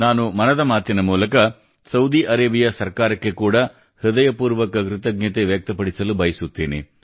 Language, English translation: Kannada, Through Mann Ki Baat, I also express my heartfelt gratitude to the Government of Saudi Arabia